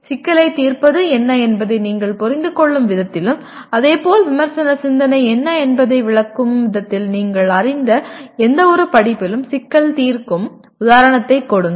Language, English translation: Tamil, Give an example of problem solving in any of the courses that you are familiar with in the way you understand what is problem solving and similarly what is critical thinking as it is explained